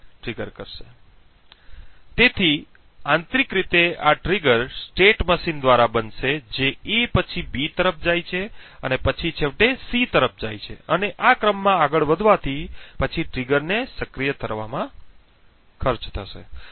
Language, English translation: Gujarati, So internally this trigger will occur by the state machine which moves due to A then to B and then finally to C and moving to in this sequence would then cost the trigger to be activated